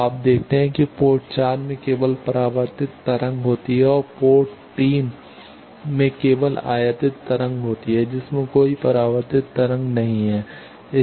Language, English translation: Hindi, Now, you see port 4 is only having the reflected wave and port 3 is only having the incident wave it is not having any reflected wave